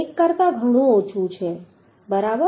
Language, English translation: Gujarati, 2 which is much much less than 1